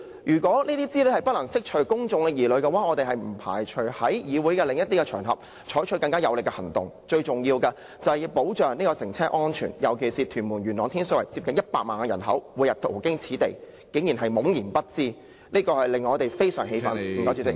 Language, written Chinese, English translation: Cantonese, 如果這些資料不能釋除公眾疑慮的話，我們不排除在議會外的場合採取更有力的行動，最重要的是保障乘車安全，尤其元朗、天水圍和屯門接近100萬人口，他們每天途經此地，但卻竟然懵然不知，這令我們感到非常氣憤。, If the information cannot ease the worries of the public we do not rule out the option of taking more aggressive actions outside this Council . Transport safety is of prime importance especially considering that there are almost 1 million people living in Yuen Long Tin Shui Wai and Tuen Mun . They travel pass these stations every day but they are ignorant of the matter